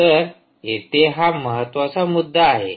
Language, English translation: Marathi, so thats the key thing here